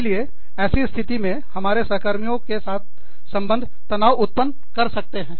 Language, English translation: Hindi, So, at that point of time, our relationship with our peers, can create some stress